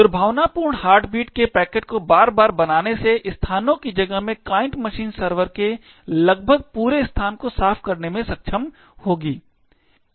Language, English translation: Hindi, By repeatedly creating such malicious heartbeat packets over a period of locations the client machine would able to glean almost the entire heaps space of the server